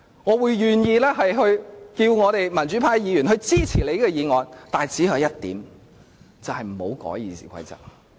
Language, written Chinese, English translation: Cantonese, 我願意請求民主派的議員支持他的議案，但只有一項條件，就是不要修改《議事規則》。, I am willing to ask Members from the pro - democracy camp to support his motion under the only condition that the RoP is not to be amended